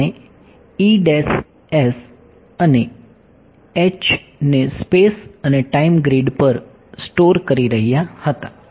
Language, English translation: Gujarati, We were storing the E’s and the H at space and time grids